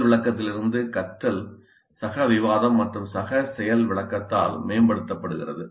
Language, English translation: Tamil, And learning from demonstration is enhanced by peer discussion and peer demonstration